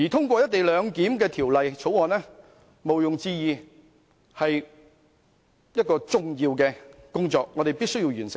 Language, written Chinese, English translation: Cantonese, 毋庸置疑，通過《條例草案》是重要的工作，我們務必完成。, Undoubtedly the passage of the Bill is an important task that we are obliged to accomplish